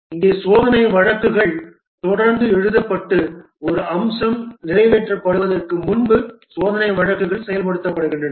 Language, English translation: Tamil, Here the test cases are written continually and the test cases are executed before a feature is passed